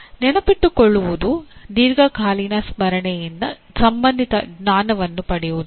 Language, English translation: Kannada, Remembering is retrieving relevant knowledge from the long term memory okay